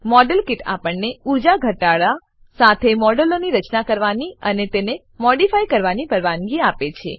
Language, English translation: Gujarati, Modelkit allows us to build and modify models with energy minimization